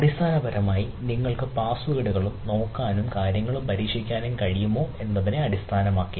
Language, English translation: Malayalam, based on that, whether you can basically look at that passwords and against the password and try type of things